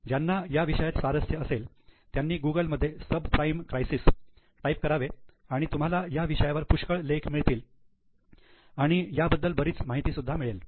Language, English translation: Marathi, Those who are interested you can type subprime crisis in Google, lot of articles will come and you will get more information